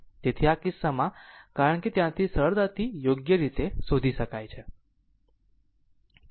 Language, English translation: Gujarati, So, in this case your because from there you can easily find out right